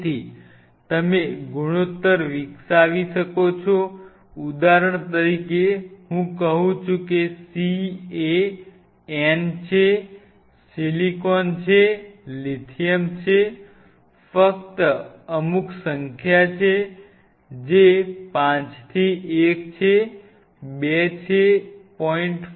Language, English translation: Gujarati, So, you can develop a ratio say for example, I say c is to n is to say silicon is to say lithium is just put some number say, say 5 is to 1 is to you know 2 is to 0